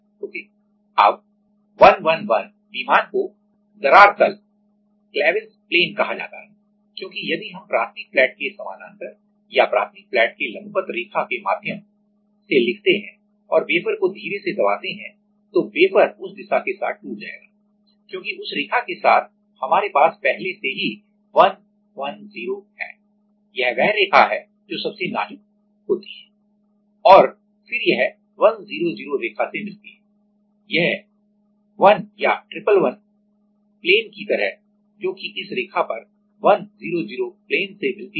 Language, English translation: Hindi, Now, the 111 plane is called cleavage plane because if we scribe through the line parallel to the primary flat or even perpendicular to the primary flat and press the wafer gently then the wafer will break along that line because along that line we have already the 110 line which is most fragile and then it meets the 100 line like the 1 or triple 1 plane which is which meets 100 plane at this line